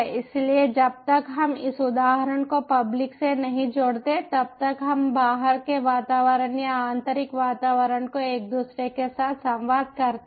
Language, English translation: Hindi, so, until we connect this ah instance to the public, we the outside environment, or the ah, the inner environment, whenwe inter communicate with each other